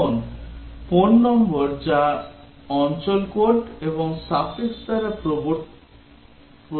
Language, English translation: Bengali, Now, what about a phone number which is given by area code and a suffix